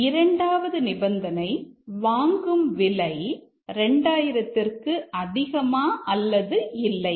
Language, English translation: Tamil, The second condition is that the purchase amount greater than 2000 or not